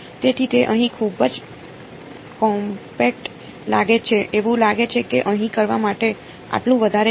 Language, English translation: Gujarati, So, it looks very compact over here it looks like this not much to do over here